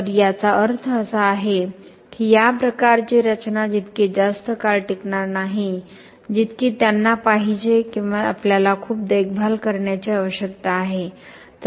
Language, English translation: Marathi, So this means that this type of structures will not last as long as they should or we need a lot of maintenance